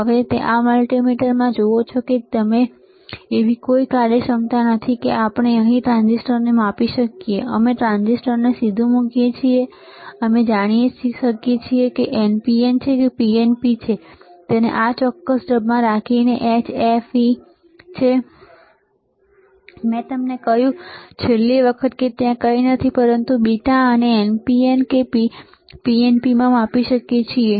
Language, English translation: Gujarati, Now you see in this multimeter that you see here, there is no functionality that we can measure the transistor here we can directly place the transistor and know whether it is NPN or PNP by keeping it in this particular mode which is HFE, I told you last time and there is nothing, but the beta and we can measure whether it is NPN or PNP